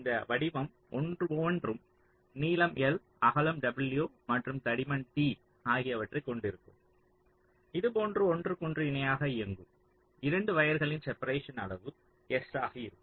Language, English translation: Tamil, so each of this shape will be having a length l, a width w and a thickness t, and two such wires running parallel to each other will be having a separation s